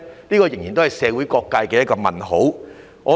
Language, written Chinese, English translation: Cantonese, 這仍然是社會各界的一個問號。, It remains a question among various sectors of the community